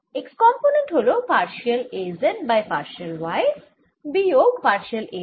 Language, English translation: Bengali, for z greater than zero, x component is partial a z over partial y, minus partial a y over partial z